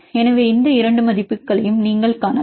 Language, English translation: Tamil, So, you can use the values